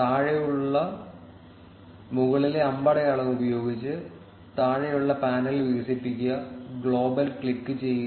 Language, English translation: Malayalam, Expand the bottom panel using the up arrow at the bottom, and click on global